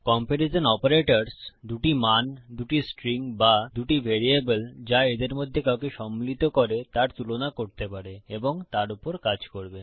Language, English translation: Bengali, Comparison Operators can compare 2 values, 2 strings or 2 variables that can contain any of them and will act upon that